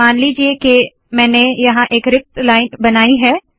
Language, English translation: Hindi, Suppose for example, I create a blank line here